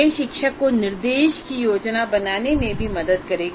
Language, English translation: Hindi, And that kind of thing will help the teacher in planning the instruction